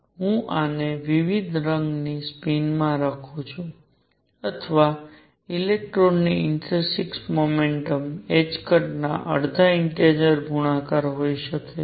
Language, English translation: Gujarati, Let me write this in different colour spin, or intrinsic momentum of electron could be half integer multiple of h cross